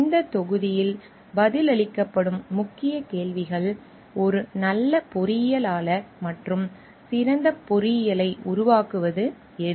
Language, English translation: Tamil, The key questions that will be answered in this module are like: what makes a good engineer and good engineering